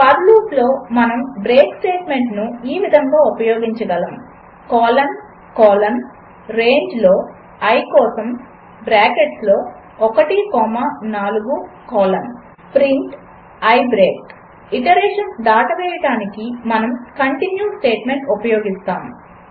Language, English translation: Telugu, First one, We can use the break statement in a for loop as, colon colon for i in range within bracket 1 comma 4 colon Then print i break And second one, In order to skip iterations,we make use of the continue statement